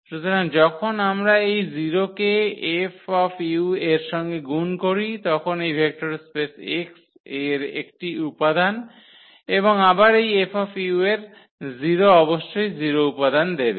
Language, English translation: Bengali, So, when we multiply this 0 to F u, F u is an element in this vector space X and again this 0 into this element F u must give 0 element